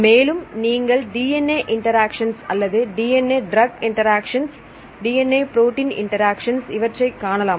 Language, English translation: Tamil, And you can see the DNA interactions or DNA drug interactions, DNA protein interactions and so on